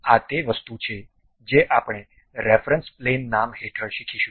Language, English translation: Gujarati, That is the thing what we are going to learn it under the name reference plane